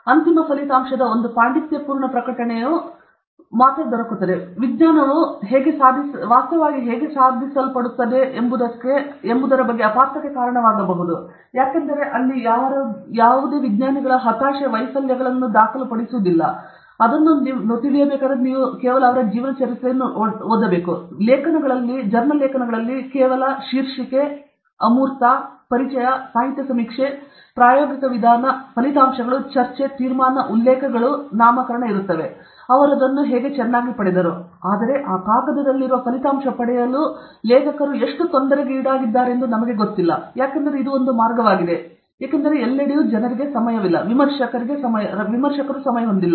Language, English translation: Kannada, A scholarly publication of the final result can lead to misunderstandings about how science is actually accomplished: abstract, introduction, literature survey, experimental methodology, results and discussion, conclusion, references, in between nomenclature; how nicely he got it, but how much suffering the authors went through to get that paper, that we don’t know, because that is a way, because everywhere that is people don’t have time, reviewers don’t have time, people don’t have… I mean it costs a lot of money to write your own story and all that right